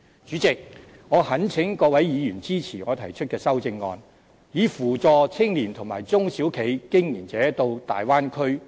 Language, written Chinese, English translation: Cantonese, 主席，我懇請各位議員支持我提出的修正案，以扶助青年和中小企經營者前往大灣區發展。, President I implore Members to support my amendment which seeks to assist young people and SME operators in developing in the Bay Area